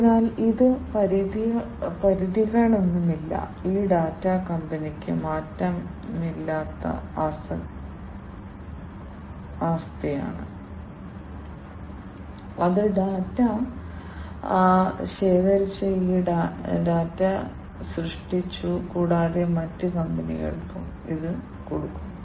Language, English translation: Malayalam, So, it does not have any limits, this data is an invariable asset for the company, that has created this data that has collected the data, and also for the other companies as well